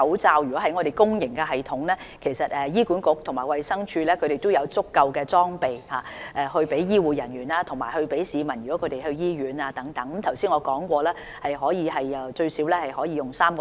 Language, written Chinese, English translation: Cantonese, 至於公營系統方面，醫管局和衞生署已有足夠裝備，提供予醫護人員和前往醫院的市民使用，正如我剛才所說，儲備足夠使用最少3個月。, As for the public sector the supply of equipment under HA and DH is sufficient for meeting the needs of health care staff and members of the public visiting hospitals . As I said earlier the current stockpile is adequate for at least three months consumption